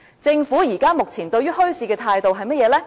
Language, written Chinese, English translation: Cantonese, 政府現時對墟市的態度是甚麼呢？, What is the present stance of the Government on the development of bazaars?